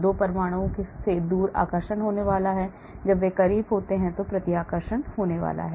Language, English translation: Hindi, far away 2 atoms there is going to be attraction and when they are closer there is going to be repulsion